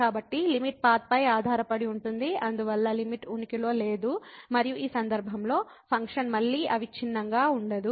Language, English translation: Telugu, So, limit depends on path and hence the limit does not exist and the function is not continuous again in this case